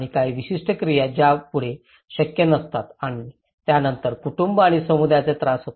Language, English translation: Marathi, Certain activities are no longer possible and then the family and the community suffers